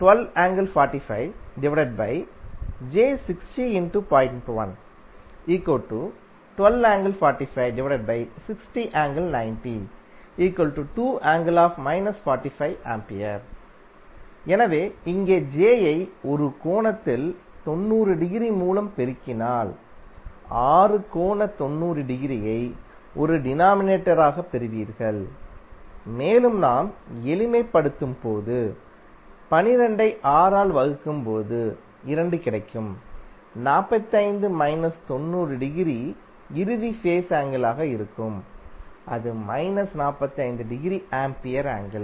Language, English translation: Tamil, So, here if you multiply j with one angle 90 degree you will get six angle 90 degree as a denominator and when you simplify, the 12 will be come 2 when you divided it by 6 and then 45 minus 90 degree would be the final phase angle that is minus 45 degree Ampere